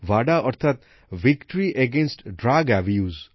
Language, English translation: Bengali, VADA means Victory Against Drug Abuse